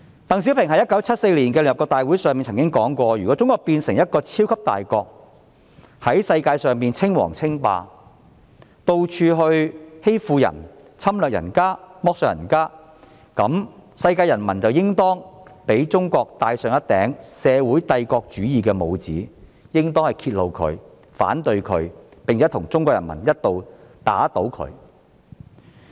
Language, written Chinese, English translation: Cantonese, 鄧小平在1974年的聯合國大會上說過，"如果中國......變成一個超級大國，也在世界上稱王稱霸，到處欺負人家，侵略人家，剝削人家，那麼，世界人民就應當給中國戴上一頂社會帝國主義的帽子，就應當揭露它，反對它，並且同中國人民一道，打倒它。, When DENG Xiaoping gave a speech at the United Nations General Assembly in 1974 he said if one day China should turn into a superpower if she too should play the tyrant to the world and everywhere subject others to her bullying aggression and exploitation the people of the world should identify her as social - imperialism expose it oppose it and work together with the Chinese people to overthrow it